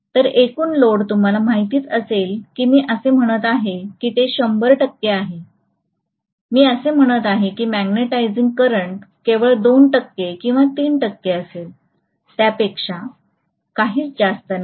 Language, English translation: Marathi, So the overall load current will be you know if I say that is 100 percent, I am going to say that the magnetizing current will be only about 2 percent or 3 percent, nothing more than that